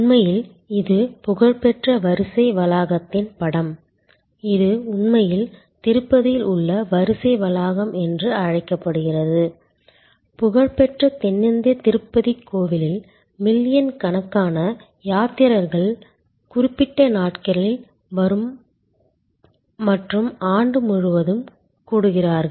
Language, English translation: Tamil, In fact, that is a picture of the famous queue complex, it is in fact called a queue complex at the Tirupati, the famous south Indian Tirupati temple, where millions of pilgrims congregate on certain days and on the whole throughout the year, they have huge flow of people